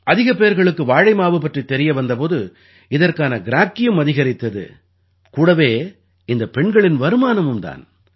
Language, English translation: Tamil, When more people came to know about the banana flour, its demand also increased and so did the income of these women